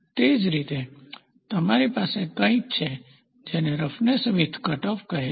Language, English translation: Gujarati, So, in the same way you also have something called as roughness width cutoff